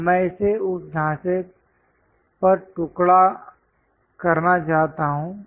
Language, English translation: Hindi, Now I want to slice it on that frame